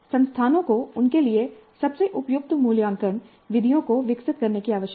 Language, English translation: Hindi, Institutes need to evolve assessment methods best suited for them